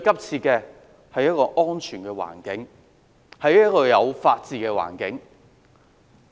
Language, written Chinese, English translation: Cantonese, 是一個安全的環境，是一個有法治的環境。, They need a safe environment an environment with the rule of law